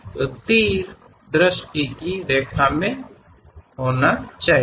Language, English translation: Hindi, So, arrows should be in the line of sight